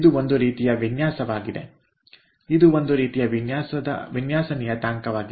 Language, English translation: Kannada, this is kind of a design parameter